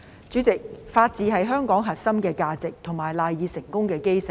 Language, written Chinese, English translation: Cantonese, 主席，法治是香港的核心價值及賴以成功的基石。, President the rule of law is a core value of Hong Kong and the cornerstone of its success